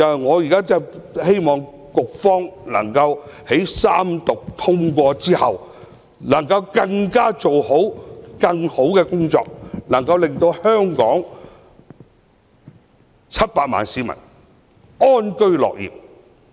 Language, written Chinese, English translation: Cantonese, 我希望局方在三讀通過《條例草案》後，工作能夠做得更好，令香港700萬市民安居樂業。, I hope the Bureau can do a better job after the Bill is read the Third time and passed so that the 7 million people in Hong Kong can live and work in contentment